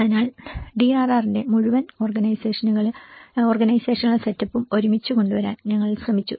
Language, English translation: Malayalam, So in that way, we tried to pull it together the whole organizational setup of the DRR